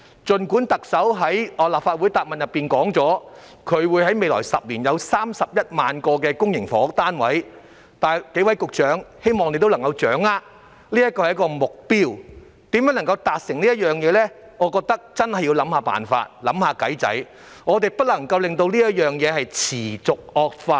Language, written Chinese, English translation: Cantonese, 儘管特首在立法會答問會內表示，政府在未來10年會供應31萬個公營房屋單位，但我希望諸位局長能夠掌握，特首說的是一個目標，至於如何能夠達成，我認為真的要想想辦法，不能夠讓問題持續惡化。, Although the Chief Executive has stated in the Chief Executives Question and Answer Session of the Legislative Council that the Government will provide 310 000 public housing units in the next decade I hope various Secretaries would understand that the Chief Executive has merely set the goal . I think how the goal can be achieved requires serious thoughts and we should not let the problem continue to aggravate